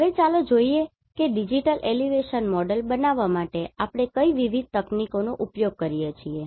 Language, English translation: Gujarati, Now, let us see what are the different techniques we use to generate a digital elevation model